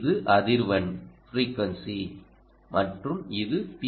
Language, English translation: Tamil, this is frequency, ok, and this is p